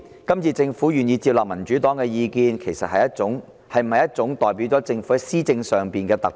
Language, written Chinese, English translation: Cantonese, 今次政府願意接納民主黨的意見，是否代表政府在施政上的一種突破？, The Government is willing to take the Democratic Partys advice this time . Does this represent a breakthrough of the Government in its governance?